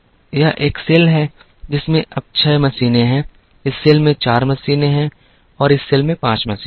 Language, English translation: Hindi, This is a cell which has now 6 machines, this cell has 4 machines and this cell has 5 machines